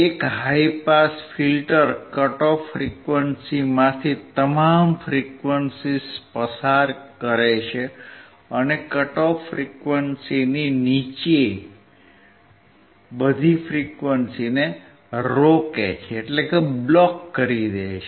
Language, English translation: Gujarati, A high pass filter passes all frequencies from the cut off frequency, and blocks all the frequencies below the cut off frequency